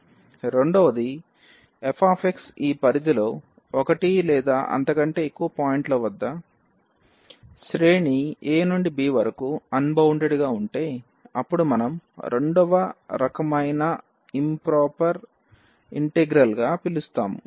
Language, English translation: Telugu, The second, if this f x is unbounded at one or more points in this range a to b then we call improper integral of second kind